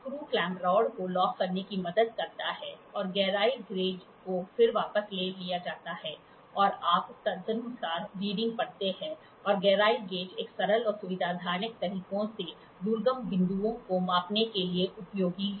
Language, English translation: Hindi, The screw clamp helps in locking the rod and the depth gauge is then withdrawn and you see read the readings accordingly the depth gauge is useful for measuring in accessible points in a simple in a convenient manner